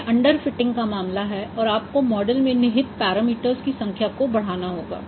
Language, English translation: Hindi, It is an underfeiting case which means your number of parameters in the model may have to increase